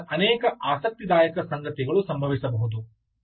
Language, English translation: Kannada, now from here, many interesting things can happen, right